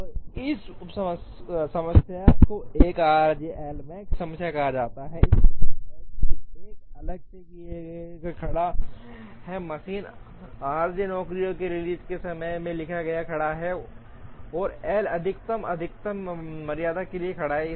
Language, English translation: Hindi, And this sub problem is called 1 r j L max problem, it means 1 stands for a single machine, r j stands for release times of jobs, and L max stands for maximum tardiness